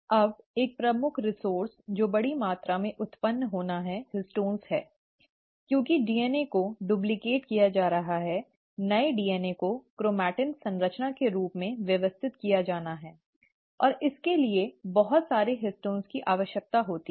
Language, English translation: Hindi, Now one of the major resources which have to be generated in bulk quantity are the histones, because of the DNA is going to get duplicated, the new DNA has to be organized as a chromatin structure, and for that, lots of histones are required